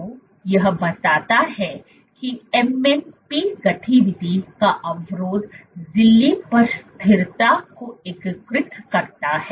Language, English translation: Hindi, So, this suggests that Inhibition of MMP activity perturbs integrin stability at the membrane